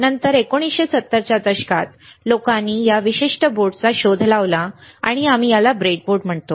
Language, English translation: Marathi, And later in 1970's people have invented this particular board, and we call this a breadboard